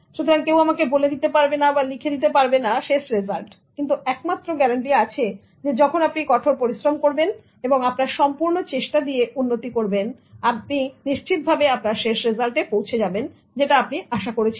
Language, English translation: Bengali, So nobody can give in written about the end result, but there is only one guarantee that if you work hard and strive to improve yourself, definitely the end result will be according to what you expect